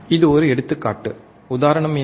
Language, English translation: Tamil, This is an example, what is the example